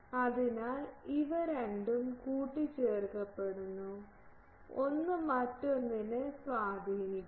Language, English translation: Malayalam, So, these two are coupled and one effects the other